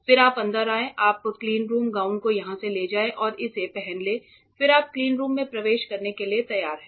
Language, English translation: Hindi, Then you come in you take your cleanroom gowns from here put it on then you are ready to enter the cleanroom